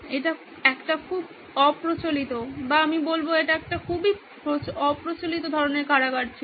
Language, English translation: Bengali, This is a very unconventional or let me say this was a very unconventional kind of prison